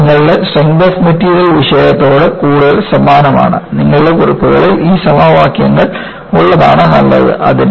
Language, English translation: Malayalam, This is more like, review of your strength of materials, it is good, it is better that your notes has these equations